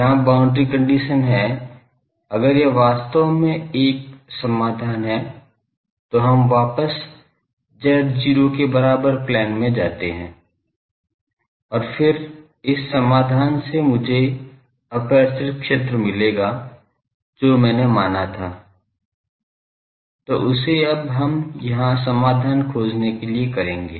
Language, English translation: Hindi, The boundary condition is, if this is really a solution, let us go back to z is equal to 0 plane and then this solution should give me the aperture field that I have assumed; so, that we will do now, to find the solution here